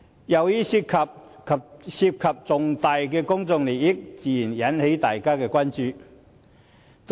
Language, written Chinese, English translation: Cantonese, 由於這涉及重大公眾利益，自然引起大家的關注。, Since this incident involves major public interests public attention has naturally been drawn